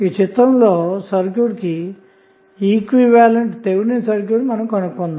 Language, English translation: Telugu, So, we have to find out the Thevenin equivalent which would be the equivalent of the complete circuit